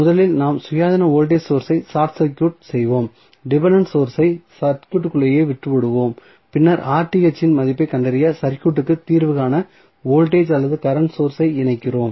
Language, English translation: Tamil, So, what we will do first, first we will short circuit the independent voltage source, leave the dependent source as it is in the circuit and then we connect the voltage or current source to solve the circuit to find the value of Rth